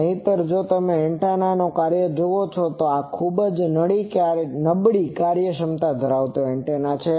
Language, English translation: Gujarati, Otherwise, if you see the performance of this antenna this is very, very poor efficiency antenna